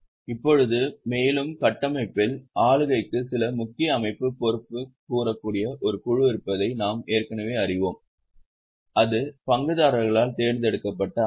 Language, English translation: Tamil, Now, further into the structure, we already know there is a board that's a major body accountable for governance and that's a elected body by the shareholders